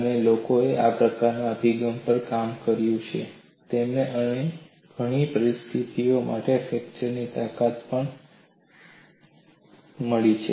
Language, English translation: Gujarati, And people have worked on this kind of an approach and they have also found out the fracture strength for several other situations